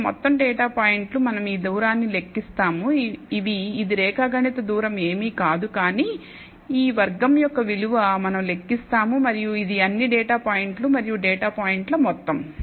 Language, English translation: Telugu, So, overall the data points, we will compute this distance which is geometric distance is nothing, but square of this value we will compute this and sum over all the data points n data points